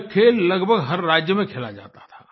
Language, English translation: Hindi, It used to be played in almost every state